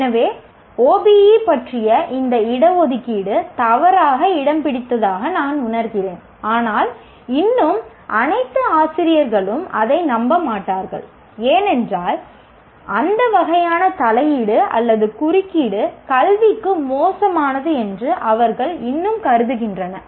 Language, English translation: Tamil, So, I feel that these reservations about OBE are misplaced, but still all faculty would not believe that because they still consider any kind of intervention or interference is bad for education